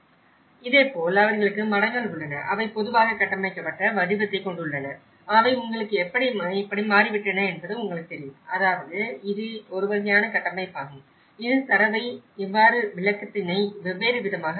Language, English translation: Tamil, And similarly, they have the monasteries, they have the built form in general and how they have changed you know, what I mean, this is a kind of framework how she put the data in different pockets of explanation